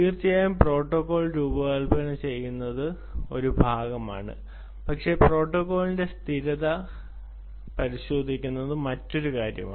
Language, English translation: Malayalam, ah, designing the protocol is one part, but then testing the protocol, conformance of the protocol is another story